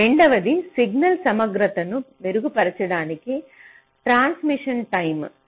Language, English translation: Telugu, second is modifying transition times to improve the signal integrity